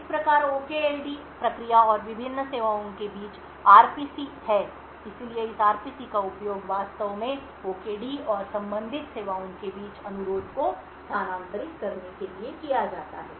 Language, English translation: Hindi, Side by side thus there is RPCs mechanisms between the OKD process and the various services so this RPCs are used to actually transfer request between the OKD and the corresponding services